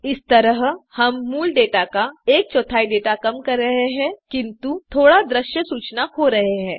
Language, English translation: Hindi, This way we will be reducing the data to one fourth of the original data but losing only a little of visual information